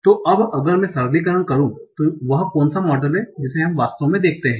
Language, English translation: Hindi, So now if I make the simplification, what is the model that we actually see